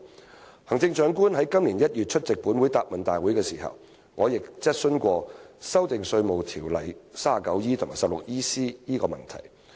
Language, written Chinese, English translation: Cantonese, 在行政長官今年1月出席本會的答問會時，我便就修訂《稅務條例》第 39E 條及第 16EC 條提出質詢。, When the Chief Executive attended this Councils Question and Answer Session in January this year I asked her a question on amending sections 39E and 16EC of the Inland Revenue Ordinance